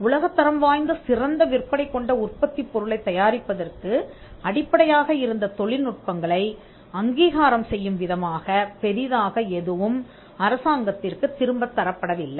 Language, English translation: Tamil, There is not much that is gone back to the state to as a rate in recognition of the technologies on which apple was able to build a world class best selling product